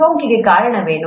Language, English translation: Kannada, What causes infection